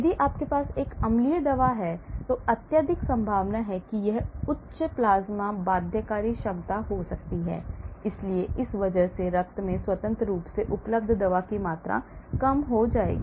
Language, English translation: Hindi, So, if you have an acidic drug; highly acidic drug chances are; it can have a high plasma binding capability, so the amount of freely available drug in the blood will be reduced because of this